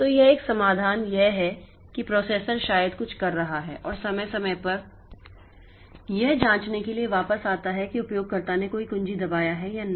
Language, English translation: Hindi, So, one solution is that the processor may be doing something and periodically it comes back to check whether the user has pressed any key or not